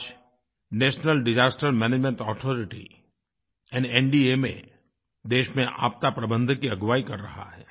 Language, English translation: Hindi, Today, the National Disaster Management Authority, NDMA is the vanguard when it comes to dealing with disasters in the country